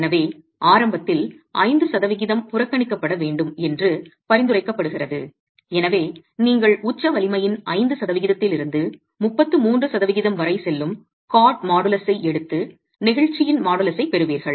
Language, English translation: Tamil, So, it's prescribed that the initial 5% be neglected and hence you take a cod model is that goes from 5% to 33% of the peak strength and get the models of elasticity